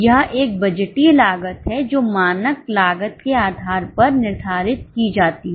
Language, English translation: Hindi, It is a budgeted cost which is determined based on the standard costing